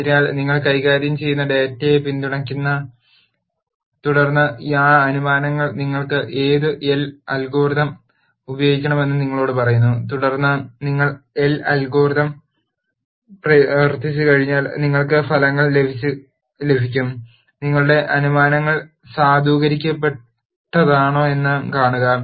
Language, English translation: Malayalam, So, you make some assumption support the data that you are dealing with and then those assumptions tell you what algorithms you should use and then once you run the algorithm you get the results and see whether your assumptions are validated and so on